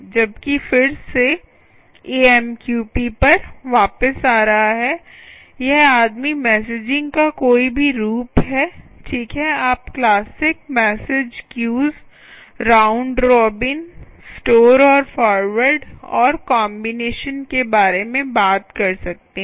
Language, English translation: Hindi, whereas again, coming back to amqp, this guy is: any form of messaging is fine, ok, you can be taking about classical ah, classic, sorry, classic message queues, queues, round robin, right, store and forward and combinations